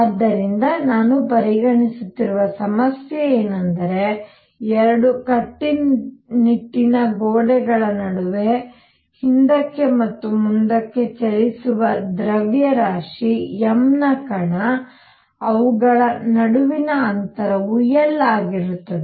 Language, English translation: Kannada, So, problem I am considering is that the particle of mass m that is moving back and forth between two rigid walls, where the distance between them is L